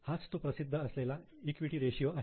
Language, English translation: Marathi, So, it is popularly known as equity ratio